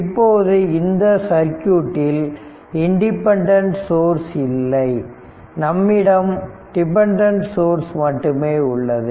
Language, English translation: Tamil, Now, here in this circuit, there is no independent source it is dependent source, there is no independent source